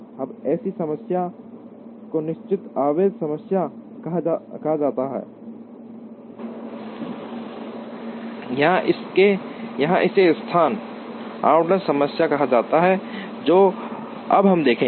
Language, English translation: Hindi, Now, such a problem is called the fixed charge problem or it is called a location allocation problem that we will see now